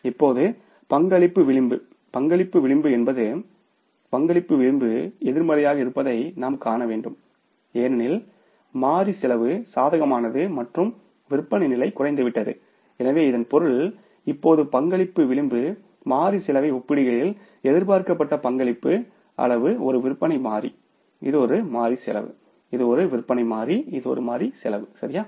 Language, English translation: Tamil, Contribution margin is the we have to see that the contribution margin is negative now because variable cost is favorable and the sales level has come down so it means now the contribution margin what was expected contribution margin as per comparing the variable cost and the this is the sales level this is the variable cost